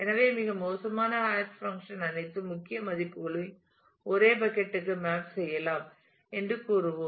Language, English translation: Tamil, So, we will say that the worst possible hash function is one which maps all key values to the same bucket